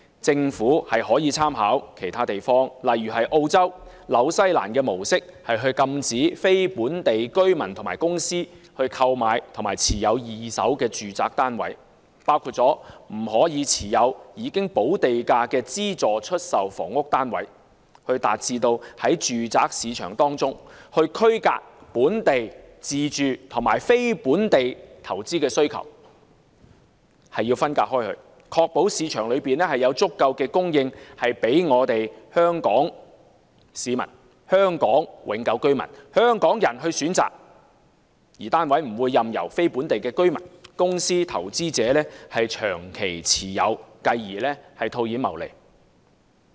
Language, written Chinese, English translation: Cantonese, 政府可以參考其他地方的模式，例如澳洲和新西蘭，禁止非本地居民和公司購買及持有二手住宅單位，包括不准持有已補地價的資助出售房屋單位，以達致在住宅市場中區隔本地自住和非本地投資需求，從而確保市場有足夠供應予香港市民、香港永久居民和香港人選擇，單位不會任由非本地居民或公司投資者長期持有，繼而套現謀利。, The Government may draw reference from the practices in other places such as Australia and New Zealand and forbid people and corporate buyers from outside Hong Kong to acquire and hold second - hand residential units including subsidized sale flats with premiums paid in order to separate local self - occupation needs from non - local investment demands . We should ensure that sufficient supply is in the market for Hong Kong citizens Hong Kong permanent residents and Hong Kong people to choose from rather than being held by non - local people or corporate buyers over a long period of time for cashing in profit later on . In Australia where a purchase restriction is in place property prices have come down from the peak in 2018